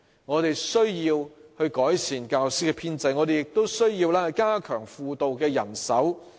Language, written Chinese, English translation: Cantonese, 我們需要改善教師編制，亦需要加強輔導人手。, We need to improve the teaching establishment and strengthen the manpower of guidance personnel